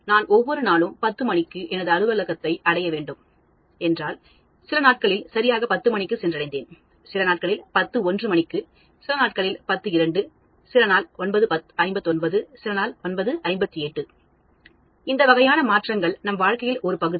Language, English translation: Tamil, If, I have to reach my office every day at 10’O clock, I will reach some days at 10 ‘O clock, some days at 10:01, some days at 10:02, some days at 9:59, some days at 9:58